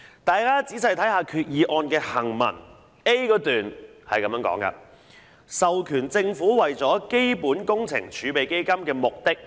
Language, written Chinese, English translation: Cantonese, 大家仔細看看擬議決議案的行文 ，a 段說"授權政府為基本工程儲備基金的目的......, If we take a closer look at the wording of the proposed Resolution paragraph a provides that the Government be authorized to borrow for the purpose of the Capital Works Reserve Fund in total 100 billion